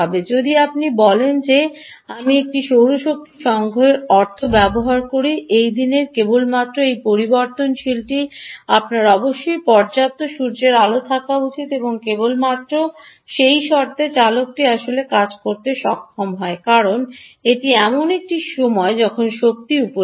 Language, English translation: Bengali, if you say that, ah, i use a solar energy harvesting means that only this variable should be worn during the time during the day you should have sufficient sunlight, and only on the duck condition the variable actually is able to work, because that is a time when the energy is available